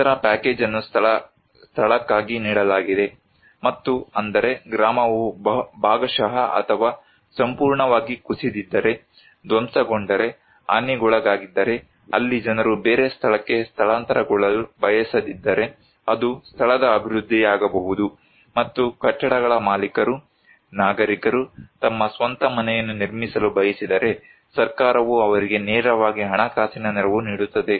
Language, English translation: Kannada, The other package was given for in situ, and that is that if the village is partially or completely collapsed, devastated, damaged then, there if the people do not want to relocate to a another place, then it could be in situ development and if the owners of the buildings, the citizens they want to build their own house, then government will directly provide them financial assistance